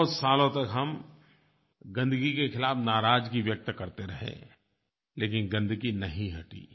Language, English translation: Hindi, We kept expressing anguish against the filth for so many years, but it didn't disappear